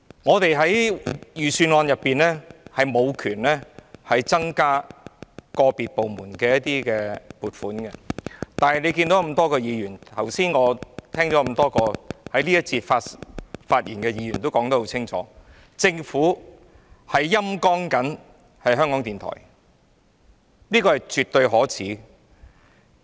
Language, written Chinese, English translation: Cantonese, 我們在審議財政預算案時沒有權力增加個別部門的撥款，而大家也看到，正如剛才在這個環節發言的多位議員也說得很清楚，政府是在"陰乾"港台，這是絕對可耻的。, In our examination of the Budget we do not have the power to increase the provisions for individual departments . As Members can see and as a number of Members said clearly when they spoke in this session earlier the Government is sapping RTHK . This is absolutely shameful